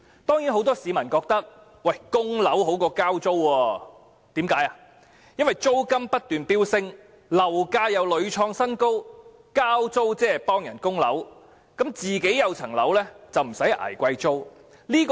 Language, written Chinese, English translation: Cantonese, 當然，很多市民覺得供樓比交租好，因為租金不斷飆升，樓價又屢創新高，交租即是替人供樓，自己持有物業就不用捱貴租。, Certainly many people think that paying mortgage is better than paying rents as rents are ever - increasing and property prices are scaling new heights paying rents is tantamount to paying mortgage for others and one who owns a home will not suffer from exorbitant rent